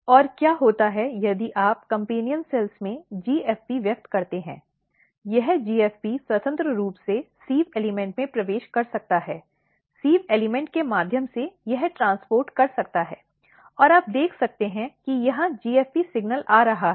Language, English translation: Hindi, And what happens if you express GFP in the companion cells, this GFP can freely enter in the sieve element, through sieve elements it can transport, and you can see that here is the GFP signal coming